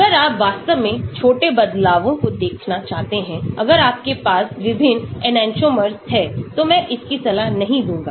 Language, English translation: Hindi, If you really want to look at the small changes, if you have different enantiomers, I would not recommend this